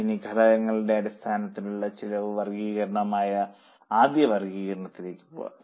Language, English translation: Malayalam, Now let us go for first classification that is cost classification by elements